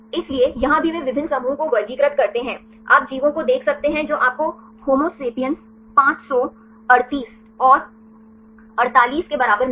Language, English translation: Hindi, So, here also they classify different groups, you can see the organisms you will get the homo sapiens 538, and equal to 48